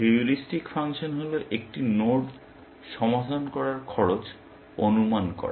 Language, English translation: Bengali, The heuristic function is estimating cost of solving a node